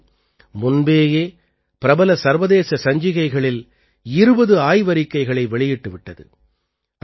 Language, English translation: Tamil, The center has already published 20 papers in reputed international journals